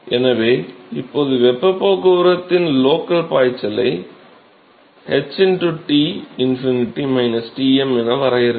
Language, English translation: Tamil, So, now one could define the local flux of heat transport can be defined as h into Tinfinity minus Tm